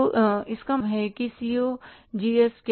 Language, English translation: Hindi, So, it means what is the COGS